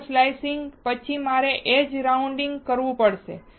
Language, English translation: Gujarati, After wafer slicing, I have to do edge rounding